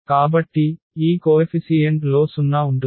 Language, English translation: Telugu, So, with this coefficient is 0